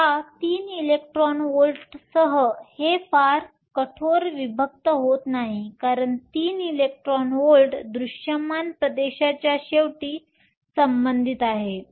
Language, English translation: Marathi, Now, this is not very rigorous separation with 3 electron volts comes out because three electrons volts correspond to the end of the visible region